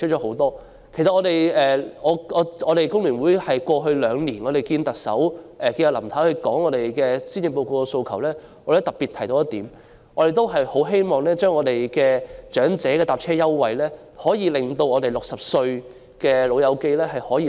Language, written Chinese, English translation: Cantonese, 香港工會聯合會過去兩年與林太會面提出對施政報告的訴求時，也特別提到我們十分希望長者乘車優惠能擴大至60歲的長者。, Over the past two years when the Hong Kong Federation of Trade Unions FTU met with Mrs LAM to present our suggestions in respect of the Policy Address we had especially mentioned our wish that the elderly fare concession be extended to elderly persons 60 years old